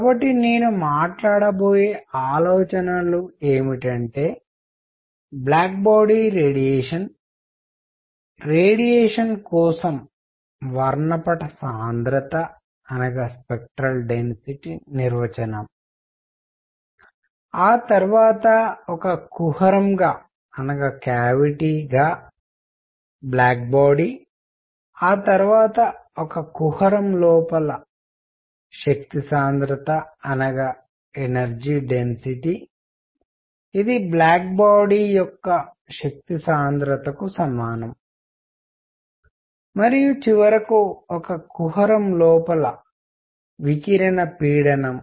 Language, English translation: Telugu, So, what the ideas that I am going to talk about is black body radiation, spectral density for radiation, then black body as a cavity, then energy density inside a cavity which would be equivalent to energy density for a black body, and finally radiation pressure inside a cavity